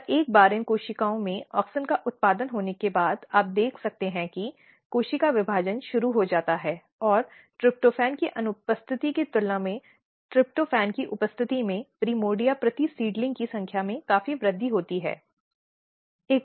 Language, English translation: Hindi, And once auxin is produced in these cells, you can see that cell division starts and number of even primordia per seedling is increased significantly in presence of tryptan as compared to in absence of tryptophan